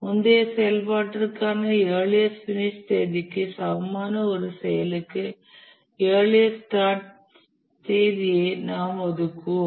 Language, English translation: Tamil, We will assign the earliest start date to an activity which is equal to the earliest finish date for the previous activity